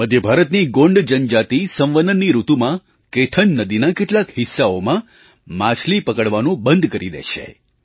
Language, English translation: Gujarati, The Gond tribes in Central Indai stop fishing in some parts of Kaithan river during the breeding season